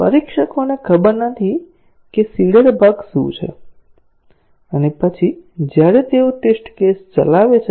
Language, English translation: Gujarati, The testers do not know what the seeded bugs are, and then as they run the test cases